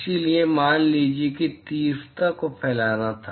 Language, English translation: Hindi, So, supposing if the intensity were to be diffuse